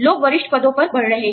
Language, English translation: Hindi, People are moving into senior positions